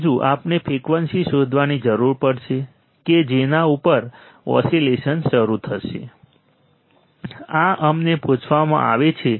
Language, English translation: Gujarati, Third would be we required to find frequency at which the oscillations will start, this we are asked